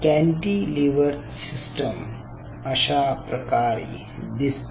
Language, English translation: Marathi, so this is how a micro cantilever system looks like